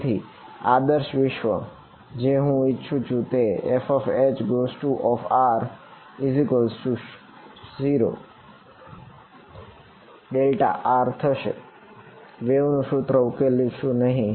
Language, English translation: Gujarati, So, ideal world I want F H r is equal to 0 for every r that is the solution of the wave equation not possible